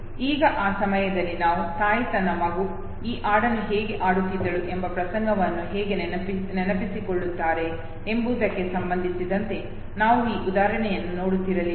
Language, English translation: Kannada, Now at that time we were no looking at this very example with respect to how the mother recollects the episode of how her child used to sing this very song